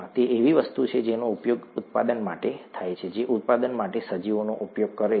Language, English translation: Gujarati, It is something that is used for production that uses organisms for production